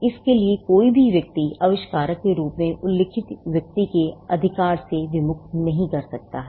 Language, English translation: Hindi, So, nobody can disentitle a person from a person’s right to be mentioned as an inventor